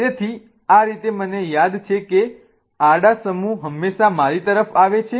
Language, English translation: Gujarati, So, that's how I remember that the horizontal groups are always coming towards me